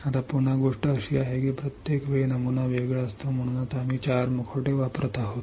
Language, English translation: Marathi, Now, again thing is this is because every time the pattern is different right that is why we are using 4 mask